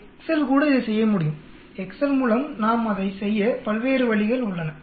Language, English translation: Tamil, Excel also can do the same thing there are different ways by which we can do it through Excel